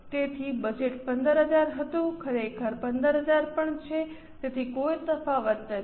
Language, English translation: Gujarati, So, budget was 15,000, actual is also 15,000